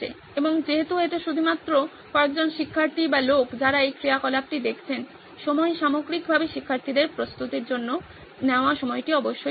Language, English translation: Bengali, And because it is only a couple of students or people who are looking into this activity, the time, the overall time taken by students to prepare is definitely there